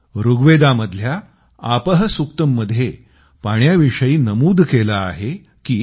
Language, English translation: Marathi, Rigveda'sApahSuktam says this about water